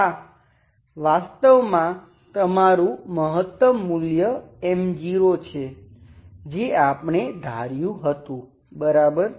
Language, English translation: Gujarati, This is actually your maximum value of U, that is what we assume, okay